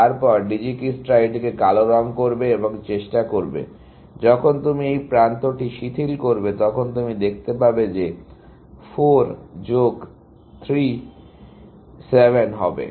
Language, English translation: Bengali, Then Dijikistra would color this one, black, and try to; when you relax this edge, you find that 4 plus 3, 7